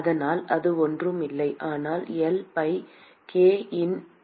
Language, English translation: Tamil, And so, that is nothing, but L by k into A